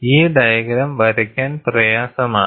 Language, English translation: Malayalam, And this picture is easier to draw